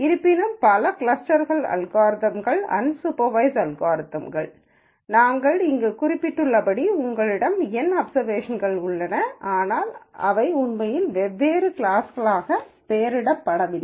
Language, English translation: Tamil, However, many of the clustering algorithms are unsupervised algorithms in the sense that you have N observations as we mentioned here but they are not really labelled into different classes